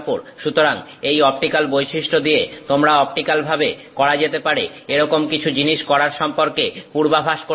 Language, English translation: Bengali, So, the optical property you can make a prediction that you know it is going to do certain things optically